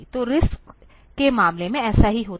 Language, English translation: Hindi, So, in case of RISC, this is what happens